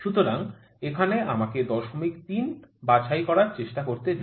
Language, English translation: Bengali, So, let me try to pick 0